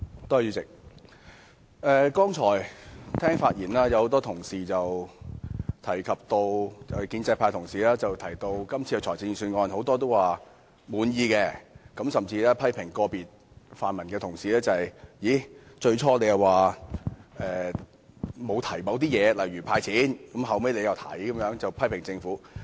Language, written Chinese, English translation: Cantonese, 主席，剛才很多建制派同事在發言時均表示對今次財政預算案感到滿意，甚至批評個別泛民同事，最初沒有提及"派錢"，後來卻又提出。, Chairman many Honourable colleagues from the pro - establishment camp all expressed satisfaction with the Budget in their speeches and even criticized individual colleagues from the pan - democratic camp of not suggesting a cash handout initially but asking for it afterwards